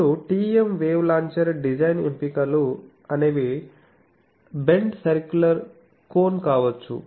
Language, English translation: Telugu, Now, TEM wave launcher design options it can be a bent circular cone